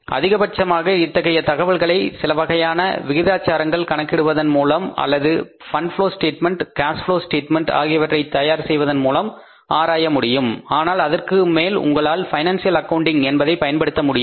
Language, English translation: Tamil, Maximum is you can analyze that information by calculating certain ratios or by preparing the cash flow statement and fund flow statement but more than that you can't make better use of the financial accounting